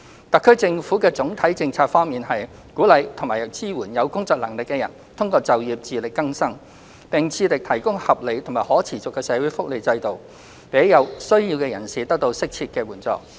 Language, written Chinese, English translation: Cantonese, 特區政府的總體政策方向是，鼓勵及支援有工作能力的人通過就業自力更生，並致力提供合理和可持續的社會福利制度，讓有需要的人士得到適切援助。, The overall policy direction of the HKSAR Government is to encourage and support people capable of working to achieve self - reliance through employment while striving to maintain a reasonable and sustainable social welfare system to provide appropriate assistance to persons in need